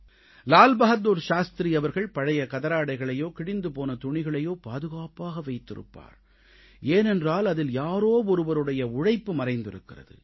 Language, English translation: Tamil, It is said that LalBahadurShastriji used to preserve old and worn out Khadi clothes because some one's labour could be felt in the making of those clothes